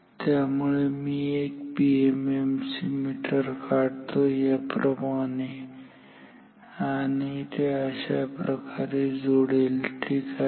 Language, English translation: Marathi, So, let me draw a PM MC meter like this and like its connected like this ok